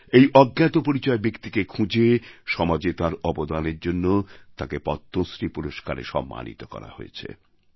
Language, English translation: Bengali, Identifying her anonymous persona, she has been honoured with the Padma Shri for her contribution to society